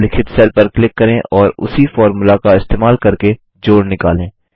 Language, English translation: Hindi, Click on the cell referenced as D9 and using the same formula find the total